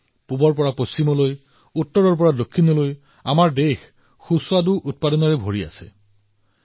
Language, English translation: Assamese, From East to West, North to South our country is full of such unique flavors and products